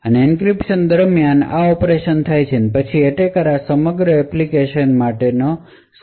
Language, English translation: Gujarati, So, during the encryption these operations take place and then the attacker measures the time for this entire encryption